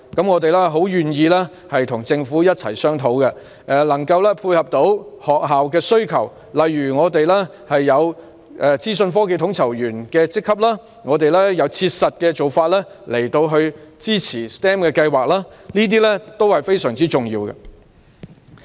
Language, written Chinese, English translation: Cantonese, 我們非常樂意與政府商討，以配合學校的需求，例如我們有資訊科技統籌員的職級，也有切實的做法支持 STEM 計劃，這些都是非常重要的。, We are most willing to hold discussions with the Government to meet the needs of schools . For example there are IT coordinator posts and practical methods to support the STEM programmes . All these are very important